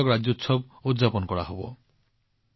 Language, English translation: Assamese, Karnataka Rajyotsava will be celebrated